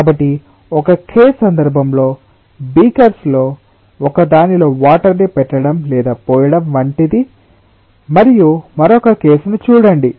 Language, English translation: Telugu, so in one case it is like water is being put ah or poured on in in one of the beakers, and see the other case